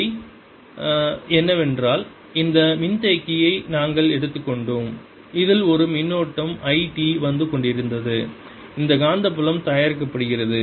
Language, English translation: Tamil, the other way was we took this capacitor in which this current i t was coming in and there was this magnetic field being produced